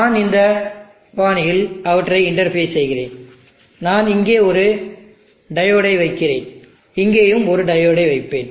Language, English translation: Tamil, And I will interface them in this fashion, I put a diode here, I will put a diode here also